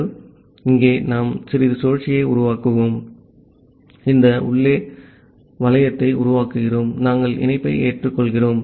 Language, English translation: Tamil, So, here we are making a while loop and inside this while loop, we are accepting the connection